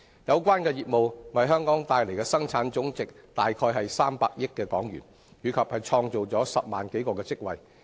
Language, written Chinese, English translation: Cantonese, 有關業務為香港帶來的生產總值約為300億港元，並創造10萬多個職位。, These services have contributed about HK30 billion to Hong Kongs GDP and created over 100 000 jobs